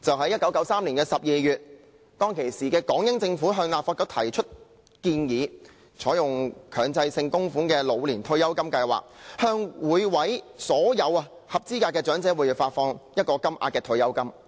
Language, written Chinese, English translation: Cantonese, 1993年12月，當時的港英政府向立法局提出建議，採用強制性供款的老年退休金計劃，向所有合資格的長者每月發放固定金額的退休金。, In December 1993 the then Hong Kong - British Government proposed to the then Legislative Council the adoption of the compulsory contributory Old Age Pension Scheme OPS that would provide a flat - rate monthly pension for all eligible elderly people